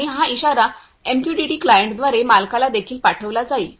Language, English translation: Marathi, And this alert also be sent to an owner, through MQTT client